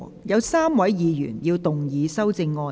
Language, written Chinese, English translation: Cantonese, 有3位議員要動議修正案。, Three Members will move amendments to this motion